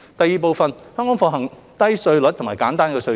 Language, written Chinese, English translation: Cantonese, 二香港奉行低稅率及簡單稅制。, 2 Hong Kong has been practising a low and simple tax regime